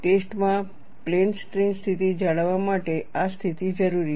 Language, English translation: Gujarati, This condition is necessary to maintain plane strain situation in the testing